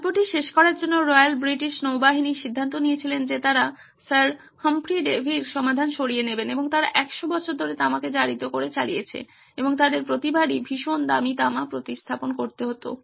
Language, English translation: Bengali, To end the story Royal British Navy decided that they are going to take away Sir Humphry Davy’s solution and they continued for 100 years with copper being corroded and they would replace the expensive copper every time it was too much